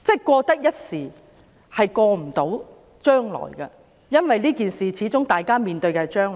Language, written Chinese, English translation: Cantonese, 過得一時，未必過到將來，因為這件事會影響將來的。, One may get away today but not necessarily tomorrow as the incident will affect the future